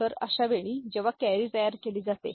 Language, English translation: Marathi, So, in this case when carry is produced